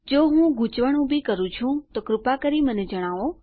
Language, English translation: Gujarati, If I am being confusing please let me know